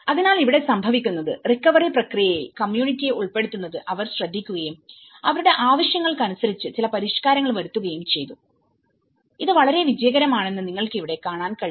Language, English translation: Malayalam, So, here, what happens is they also looked at involving the community in the recovery process and they also made some modifications according to their needs but what you can see here is this has been very successful